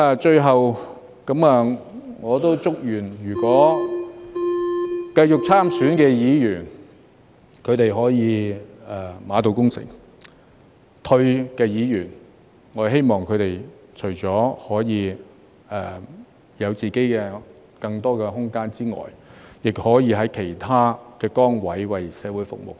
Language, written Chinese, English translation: Cantonese, 最後，我祝願繼續參選的議員可以馬到功成，退下來的議員，我則希望他們除了可以有更多自己的空間外，亦可以在其他崗位為社會服務。, As my last note I wish Members who will stand for re - election every success . For those who are going to stand down I hope that they will be able to serve the community in other positions while having more personal space